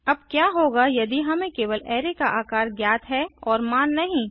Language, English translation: Hindi, Now what if we know only the size of the array and do not know the values